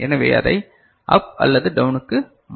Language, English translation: Tamil, So, we can convert it to up or down ok